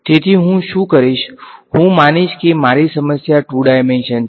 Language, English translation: Gujarati, So, what I will do is, I will assume that my problem is two dimensional ok